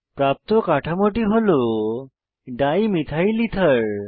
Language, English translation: Bengali, The new structure obtained is Dimethylether